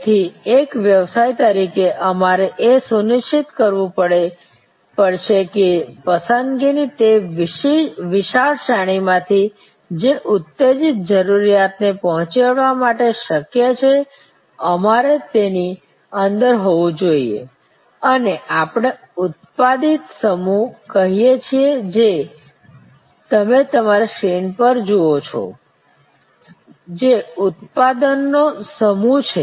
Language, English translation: Gujarati, So, as a business we have to ensure that from that wide array of choices that are possible to meet the arouse need, we have to be within what we call the evoked set, which you see on your screen, which is a set of products and brands that a consumer considers during the actual decision making process